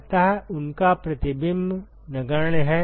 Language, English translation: Hindi, So, they have negligible reflection